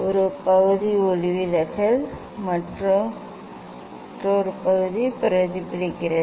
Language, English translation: Tamil, one part is refracted, and another part is reflected